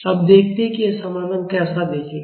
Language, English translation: Hindi, Now, let us see how this solution will look like